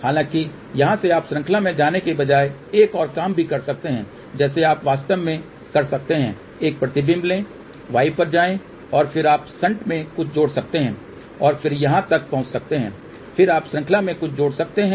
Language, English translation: Hindi, However, from here you can also do another thing instead of going in series like this you can actually take a reflection go to y and then you can add something in shunt and then reach over here then you add something in series